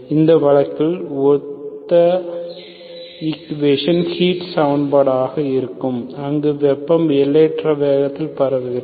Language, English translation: Tamil, In this case, similar equation will be heat equation where heat, heat propagates at infinite speed